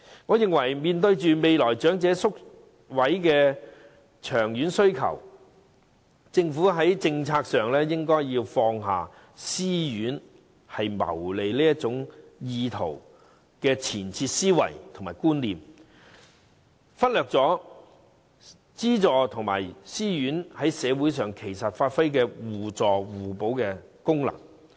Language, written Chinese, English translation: Cantonese, 我認為面對長者宿位的長遠需求，政府在政策上應放下私營院舍只求謀利的前設思維和觀念，不應忽略私營院舍與津助院舍在社會上發揮互助互補的功能。, In my opinion given the long - term demand for residential care places for the elderly the Government should give up the presumption and concept that all self - financing RCHEs seek to make profits . They should not overlook the complementary social functions of self - financing and subsidized RCHEs